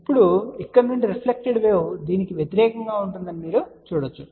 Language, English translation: Telugu, Now, you can see that further reflected wave from here it will be the opposite